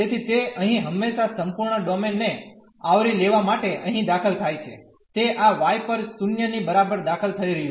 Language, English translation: Gujarati, So, it is entering here always for covering the whole domain, it is entering at this y is equal to 0